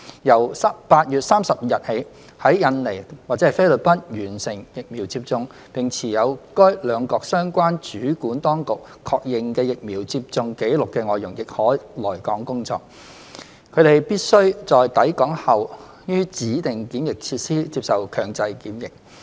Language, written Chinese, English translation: Cantonese, 由8月30日起，在印尼或菲律賓完成疫苗接種、並持有由該兩國相關主管當局確認的疫苗接種紀錄的外傭亦可來港工作，他/她們必須在抵港後於指定檢疫設施接受強制檢疫。, Starting from 30 August FDHs who have been fully vaccinated in Indonesia or the Philippines and hold a vaccination record that has been affirmed by the relevant authorities of these two countries may also come to work in Hong Kong . They have to undergo compulsory quarantine in a Designated Quarantine Facility DQF after arriving at Hong Kong